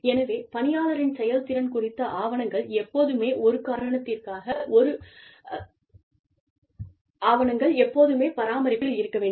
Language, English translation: Tamil, So, documentation regarding, an employee's performance, should be maintained, at all times